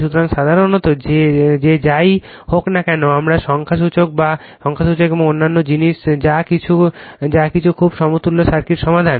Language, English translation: Bengali, So, generally that whatever we solved the numericals and other thing that is ok but very equivalent circuit